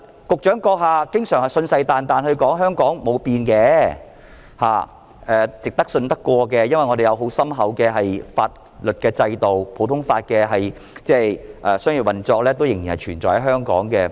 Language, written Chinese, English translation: Cantonese, 局長閣下經常信誓旦旦的說香港沒有變，是值得信任的，因為本港有很深厚的法律制度，普通法的商業運作仍然存在。, The Secretary always vows that Hong Kong has not changed and Hong Kong is trustworthy due to its deep - rooted legal system and business operations are conducted under the common law system